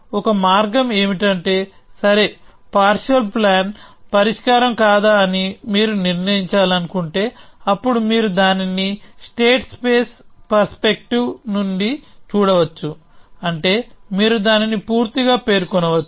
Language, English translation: Telugu, One way to say it is that, okay, if you want to decide whether a partial plan is a solution, then you could at look at it from the state space perspective, which means you completely specify it